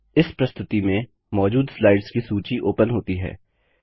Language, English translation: Hindi, The list of slides present in this presentation opens up